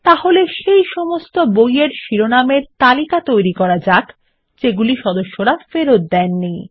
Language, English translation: Bengali, So let us list all the book titles that are due to be returned by the members